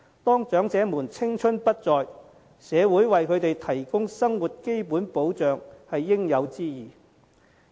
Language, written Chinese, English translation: Cantonese, 當長者青春不再，社會為他們提供生活基本保障是應有之義。, The community is duty - bound to provide them with a means of basic subsistence when they are no longer young